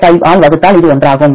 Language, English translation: Tamil, 05 into 20 that is equal to